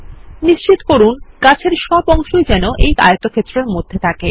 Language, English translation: Bengali, Ensure all the objects of the tree are selected within this rectangle